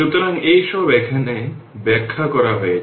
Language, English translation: Bengali, So, this is all have been explained here